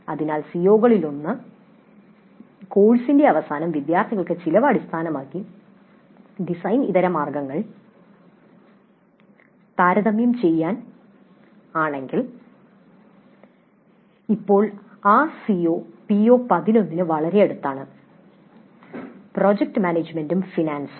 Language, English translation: Malayalam, So if one of the COs is at the end of the course students will be able to compare design alternatives based on cost, then this COE is quite close to PO 11, project management and finance